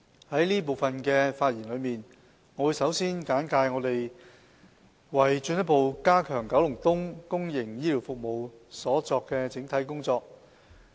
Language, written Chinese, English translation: Cantonese, 在這部分的發言，我會先簡介政府為進一步加強九龍東公營醫療服務所作出的整體工作。, In this speech I will first give a brief description of the overall efforts made by the Government in further enhancing public healthcare services in Kowloon East